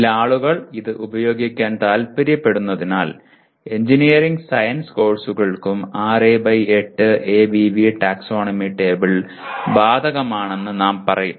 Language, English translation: Malayalam, But because some people may want to use, so we will say 6 by 8 ABV taxonomy table is applicable to engineering science courses as well